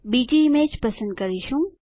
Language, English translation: Gujarati, Let us select another image